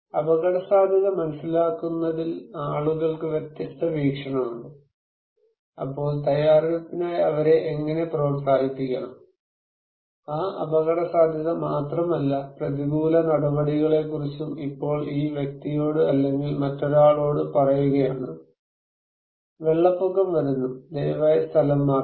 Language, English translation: Malayalam, So, people have different perspective in about understanding risk, how we have to encourage them for the preparedness then, not only that risk but also about countermeasures, this person if we ask someone that okay, flood is coming, please evacuate